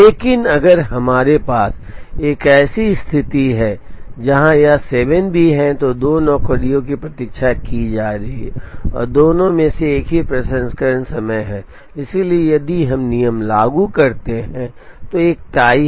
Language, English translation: Hindi, But, if we had a situation where this was also a 7, then two jobs would have been waiting and both of them have the same processing time therefore, if we apply the rule there is a tie